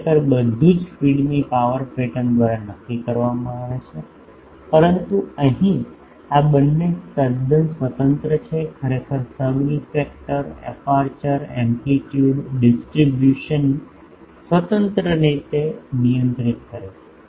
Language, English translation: Gujarati, Actually everything is determined by the power pattern of the feed, but here these two are totally independent, actually subreflector controls the aperture amplitude distribution independently